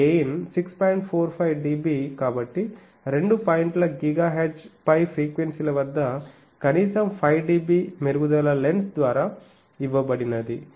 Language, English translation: Telugu, 45 dB so at least 5 dB improvement in the gain at frequencies above on two point GHz was given by the lens